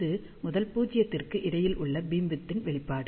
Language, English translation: Tamil, And this is the expression for beamwidth between first null